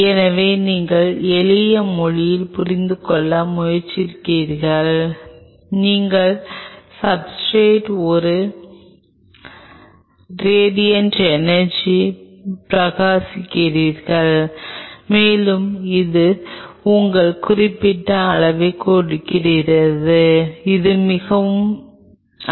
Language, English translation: Tamil, So, you try to understand in simple language you shine a radiant energy on the substrate and it has its certain level on you do not go very high on it ok